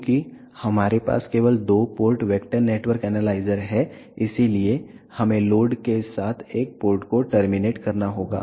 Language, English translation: Hindi, Since, we have only two port vector network analyzer, so we will have to terminate one port with load